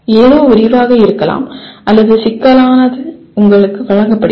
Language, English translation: Tamil, Something may be elaborate or complex is presented to you